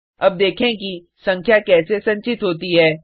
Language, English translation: Hindi, Now let us see how to store a number